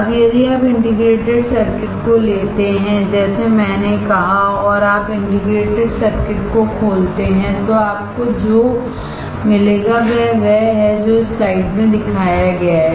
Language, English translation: Hindi, Now, if you take the integrated circuit like I said, and you open the integrated circuit, what you will find, is what is shown in the slide